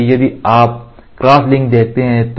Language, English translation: Hindi, So, if you see crosslink